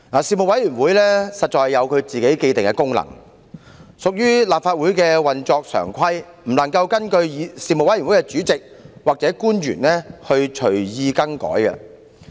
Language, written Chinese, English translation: Cantonese, 事務委員會實在有其既定職能，須按立法會的常規運作，不能任由事務委員會主席或官員隨意更改。, Each Panel has its own established functions and must operate in accordance with the normal practices of the Legislative Council and cannot be changed at its Chairmans or any government officials own will